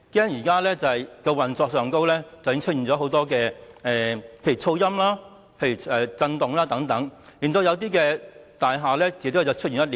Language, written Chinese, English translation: Cantonese, 現在高鐵在運作上已出現很多問題，例如噪音、震動等，導致一些大廈的建築物出現裂縫。, Currently many problems relating to the operation of XRL have been revealed such as noise and vibration causing cracks in certain buildings